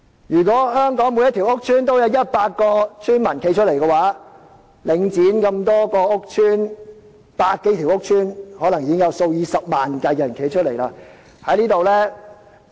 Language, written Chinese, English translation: Cantonese, 如果香港每個屋邨都有100名邨民站出來，集合領展轄下百多個屋邨，便可能有數以十萬計的居民站出來。, If 100 residents from each of the estates in Hong Kong could come forward hundreds of thousands of residents gathered from the hundred - odd housing estates affected by Link REIT would come forward